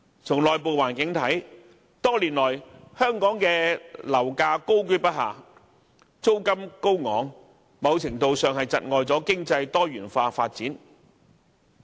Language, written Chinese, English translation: Cantonese, 從內部環境來看，多年來，香港樓價高踞不下，租金高昂，某程度上窒礙了經濟方面的多元化發展。, Internally property prices and rents have remained high over the years and this has hindered our economic diversification to a certain extent